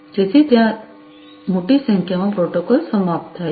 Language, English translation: Gujarati, So, large number of protocols are over there